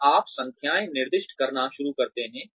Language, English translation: Hindi, And, you start assigning numbers